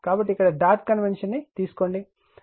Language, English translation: Telugu, So, here dot convention is taken right